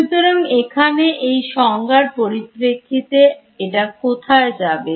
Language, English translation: Bengali, So, in terms of this definitions over here where it go